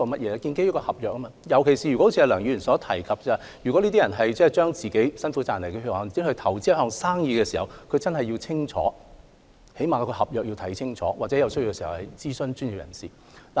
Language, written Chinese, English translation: Cantonese, 是建基於合約，特別是像梁議員所指，如果這些人是把辛苦賺來的血汗錢投資在一項生意上，他們更應看清楚，起碼要看清楚合約的內容，或在有需要時諮詢專業人士。, The operation is based on contracts . In particular as pointed out by Dr LEUNG if these people invest all their hard - earned savings on a business they should take a closer look or at least they should study the terms of the contract more carefully or seek professional advice when necessary